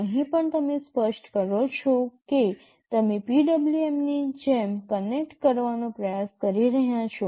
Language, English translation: Gujarati, Here also you specify which pin you are trying to connect to just like PWM